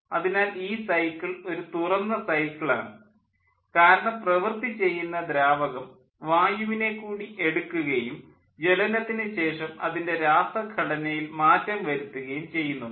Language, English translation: Malayalam, so the cycle is an open cycle because the working fluid, as working fluid, air, is taken and it will change its chemical composition after the combustion